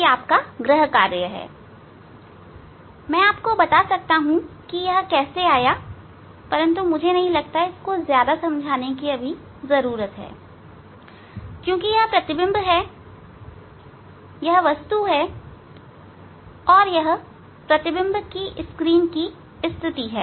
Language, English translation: Hindi, this is a homework, I can show you how it has come, but I do not think I need to explain more, because this is the image, this is the object, and this is the this is the image screen position